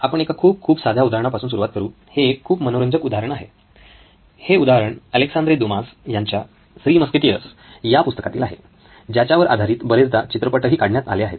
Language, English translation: Marathi, So we will start with very very simple example, an interesting one, an example from Alexandra Dumas book called ‘Three Musketeers’ which is so many times they’ve taken movies